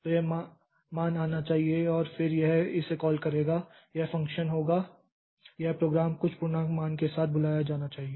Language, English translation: Hindi, So, this value should be coming and then this will be it will call this into it will be the function this program should be called with some integer value